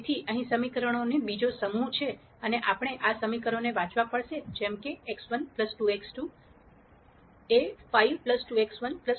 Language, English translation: Gujarati, So, here is another set of equations and we have to read these equations as x 1 plus 2 x 2 is 5 plus 2 x 1 plus 4 x 2 equals 10